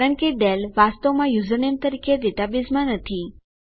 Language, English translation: Gujarati, Thats because Dale is not actually in the data base as a username